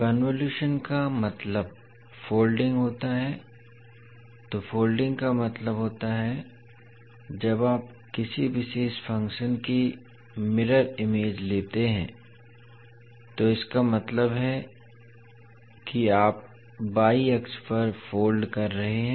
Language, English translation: Hindi, The term convolution means folding, so folding means when you take the mirror image of a particular function, means you are folding across the y axis